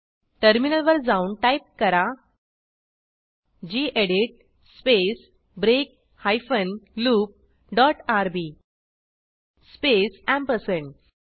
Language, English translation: Marathi, Now let us switch to the terminal and type gedit space break hyphen loop dot rb space ampersand